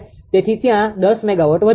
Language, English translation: Gujarati, So, 10 megawatt increases there